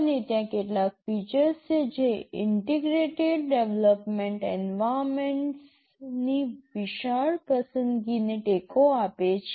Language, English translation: Gujarati, And, there are some features that supports a wide choice of integrated development environments